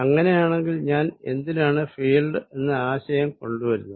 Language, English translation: Malayalam, Then, why I am introducing such an idea of a field